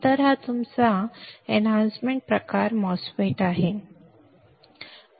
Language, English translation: Marathi, So, this is your enhancement type MOSFET